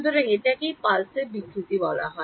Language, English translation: Bengali, So, this is what is called pulse distortion